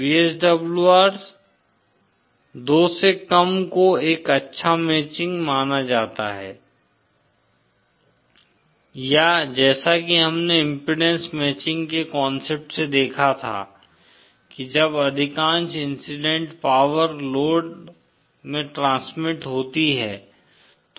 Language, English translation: Hindi, VSWR less than 2 is considered a good matching or as we saw from the concept of impedance matching that when most of the incident power is transmitted to the load